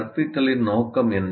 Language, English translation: Tamil, And what is the purpose of instruction